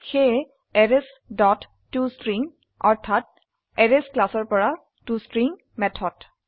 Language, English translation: Assamese, So Arrays dot toString means toString method from the Arrays class